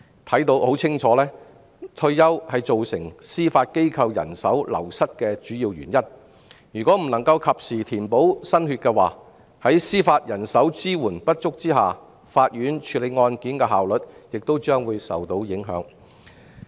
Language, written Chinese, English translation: Cantonese, 顯而易見，退休是造成司法機構人手流失的主要原因，如果未能及時填補新血，在司法人手支援不足下，法院處理案件的效率亦將會受影響。, Retirement is obviously the main cause of staff wastage in the Judiciary . If the Judiciary fails to bring in new blood in a timely manner the manpower shortage will hamper courts efficiency in case handling